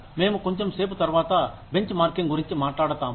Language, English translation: Telugu, We will talk about, benchmarking, a little later